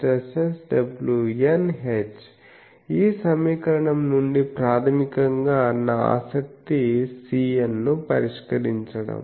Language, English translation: Telugu, And h m is so this equation basically my interest is C n